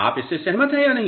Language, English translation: Hindi, You agree with this or not